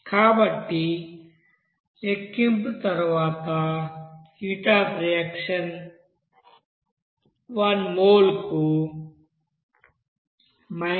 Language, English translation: Telugu, So after calculation, we can have this heat of reaction as 136